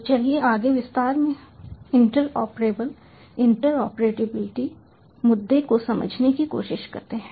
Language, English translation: Hindi, so let us try to understand the interoperability, interoperability issue in further detail